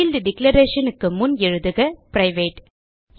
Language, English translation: Tamil, So before the field declarations type private